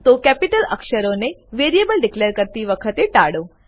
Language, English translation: Gujarati, So avoid declaring variables using Capital letters